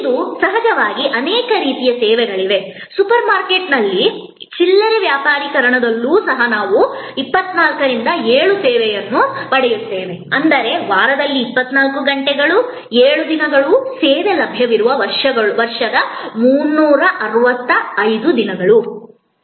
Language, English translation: Kannada, Today of course, there are many different types of services, even in retail merchandising in super market we get 24 by 7 service; that means, 24 hours 7 days a week 365 days the year the service is available